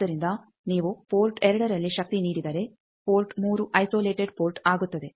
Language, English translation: Kannada, So, if you give power at port 2, port 3 is an isolated port